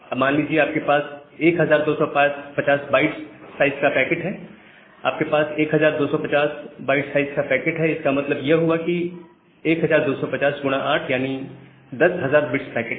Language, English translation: Hindi, Now, assume that you have a 1250 byte packets, you have a 1250 byte packets means, you have 1250 into 8, so that means, 10000 bits packet